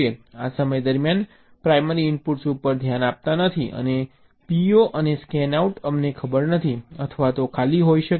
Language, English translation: Gujarati, during this time primary inputs are dont care, and p, o and scanout we dont know, or this can be empty